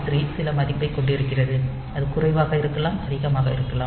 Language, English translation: Tamil, 3 is having some value it maybe low maybe high